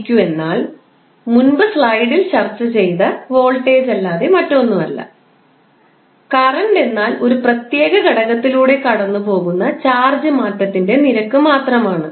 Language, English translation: Malayalam, dw by dq is nothing but the voltage which we discussed in the previous class previous slides and I is nothing but rate of change of charge passing through a particular element